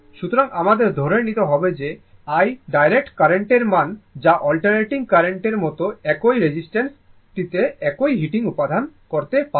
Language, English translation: Bengali, So, we have to assume something that I be the value of the direct current to produce a same heating in the same resistor at produced by the alternating current, right